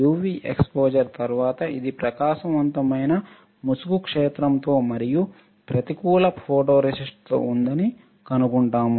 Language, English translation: Telugu, We will find that after UV exposure this one with bright field mask and negative photoresist, what we will find